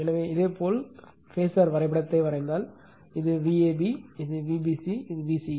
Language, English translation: Tamil, So, similarly if you draw the phasor diagram, this is your V ab, this is V bc, this is vca